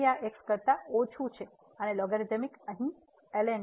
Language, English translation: Gujarati, So, this is less than 1 and the logarithmic here